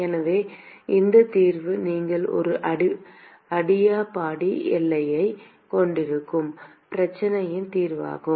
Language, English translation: Tamil, So, this solution is also the solution of the problem where you have a an adiabatic boundary